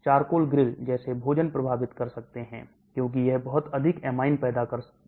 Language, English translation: Hindi, Food like charcoal grill can affect because it produces a lot of amine